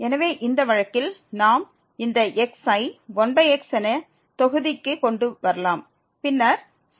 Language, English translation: Tamil, So, in this case we can bring this to the denominator as 1 over x and then over